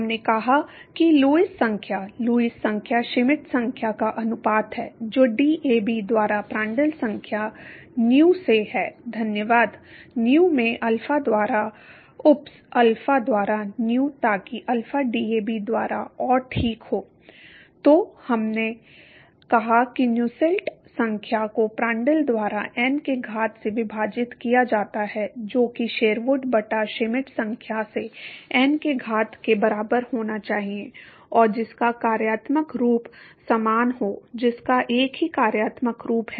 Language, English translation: Hindi, We said that Lewis number, the Lewis number is the ratio of Schmidt number to Prandtl number Nu by DAB thank you, into Nu by alpha oops alpha by nu, so that alpha by DAB and ok So, now we said that Nusselt number divided by Prandtl to the power of n that should be equal to Sherwood by Schmidt number to the power of n and that has the same functional form; that has the same functional form